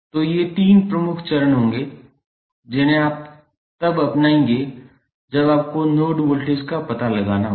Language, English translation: Hindi, So, these would be the three major steps which you will follow when you have to find the node voltages